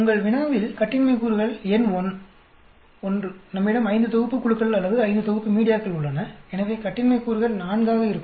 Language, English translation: Tamil, The degrees of freedom is n1 in your problem, we have five sets of groups or five sets of media we are testing, so degrees of freedom will be 4